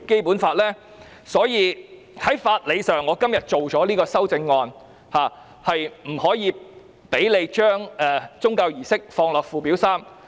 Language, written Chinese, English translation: Cantonese, 故此，基於法理，我今天提出這項修正案，不把宗教儀式列入附表3。, For this reason on legal grounds I propose this amendment today against the inclusion of religious services in Schedule 3